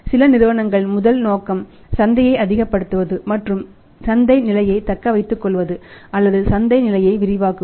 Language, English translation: Tamil, When some companies their first objective is to maximize the market and retain their market position or expand the market position